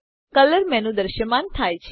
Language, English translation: Gujarati, A color menu appears